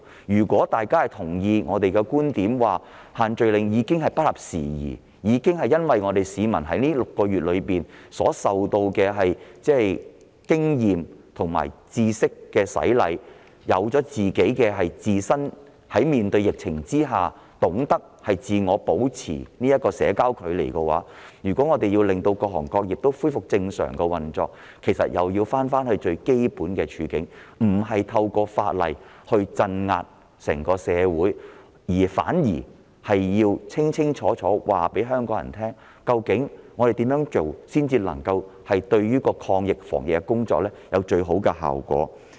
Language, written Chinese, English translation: Cantonese, 如大家同意我們的觀點，認為限聚令已不合時宜，因為市民經過這半年經驗和知識的洗禮，已懂得如何面對疫情，自我保持社交距離，那麼，若要令各行各業恢復正常運作，其實又要重回基本，不要意圖透過法例鎮壓整個社會，反而要清楚告訴香港人，怎樣做才能令防疫抗疫工作得到最佳效果。, If fellow Members agree with my viewpoint and consider that the social gathering restrictions are outdated because with the experience and knowledge gathered in the past six months people actually know very well how they should tackle the epidemic situation and maintain social distancing we should then go back to the basics in order to restore normal operation of all trades and industries . Instead of trying to suppress the entire community through the enactment of legislation we should clearly tell the people of Hong Kong what should be done to achieve the best results in preventing and fighting the epidemic